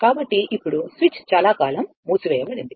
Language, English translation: Telugu, So now, switch is closed for long time